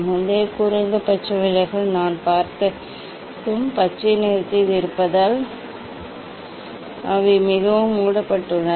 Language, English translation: Tamil, earlier minimum deviation whatever I have seen that is for green the they are very closed